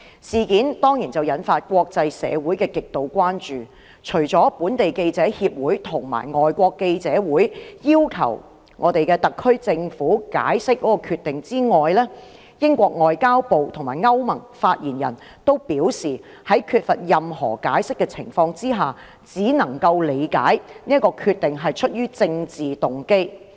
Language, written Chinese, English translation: Cantonese, 事件當然引發國際社會極度關注，除了香港記者協會及香港外國記者會要求特區政府解釋該決定之外，英國外交及聯邦事務部及歐盟發言人均表示，在缺乏任何解釋的情況之下，只能夠理解該決定是出於政治動機。, The incident has of course aroused great international concern . The Hong Kong Journalists Association and the Foreign Correspondents Club Hong Kong requested an explanation from the SAR Government about its decision . In addition the spokesmen of the Foreign and Commonwealth Office of the United Kingdom and the European Union also said that in the absence of any explanation the decision could only be interpreted as politically motivated